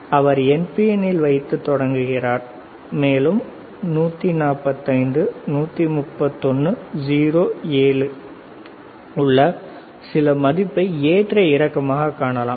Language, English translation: Tamil, So, he is placing this in NPN to start with, and he can see some value which is around 145, 131, 0, 7 keeps on fluctuating